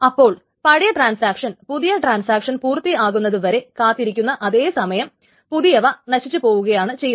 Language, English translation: Malayalam, So the old one, the old transaction simply waits for the young one to finish and the young one simply dies